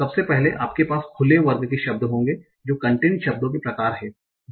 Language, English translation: Hindi, Firstly, you will have the open class words that are sort of content words